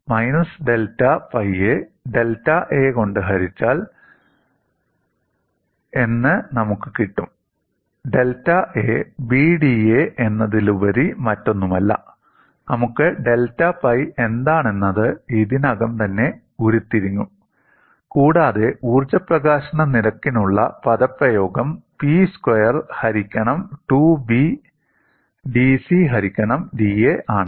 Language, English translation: Malayalam, We had that as minus delta pi divided by delta A, and delta A is nothing but B into da, and we have already derived what is delta pi, and you get the expression for energy release rate as P squared by 2 B dC by da